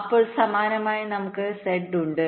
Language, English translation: Malayalam, then similarly, we have z, again with two